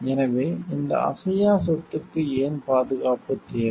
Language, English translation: Tamil, So, why this intangible property needs protection